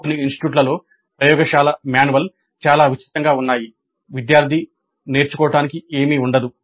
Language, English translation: Telugu, In some cases, some institutes, the laboratory manuals are so elaborate that there is nothing left for the student to learn as such